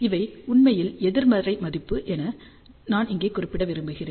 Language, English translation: Tamil, I just want to mention here, these are actually negative value